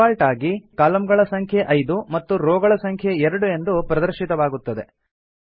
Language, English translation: Kannada, By default, Number of columns is displayed as 5 and Number of rows is displayed as 2